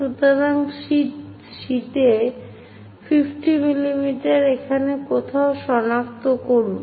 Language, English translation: Bengali, So, on the sheet locate 50 mm somewhere here